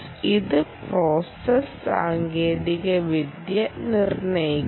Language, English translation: Malayalam, this will determine the memory technology process